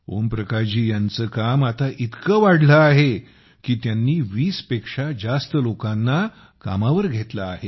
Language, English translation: Marathi, Om Prakash ji's work has increased so much that he has hired more than 20 people